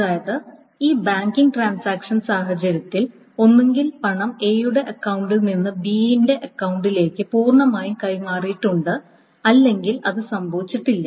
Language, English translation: Malayalam, So, that means in this banking transaction scenario, either the money has been transferred from A's account to B's account completely or it has not happened at all